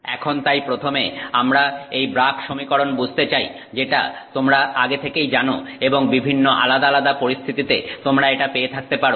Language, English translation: Bengali, Now typically, so we would like to first of all understand this is something that you already know, the Bragg equation is something that you may have come across in many different circumstances